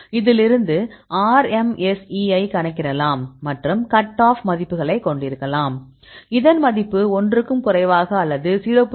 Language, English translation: Tamil, So, from this you can calculate the RMSE and you can have a cut off values; for example, it is less than 1 or less than 0